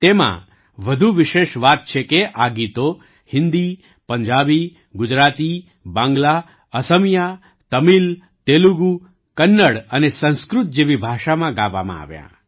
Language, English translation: Gujarati, What is more special in this is that these 75 songs were sung in languages like Hindi, Punjabi, Gujarati, Bangla, Assamese, Tamil, Telugu, Kannada and Sanskrit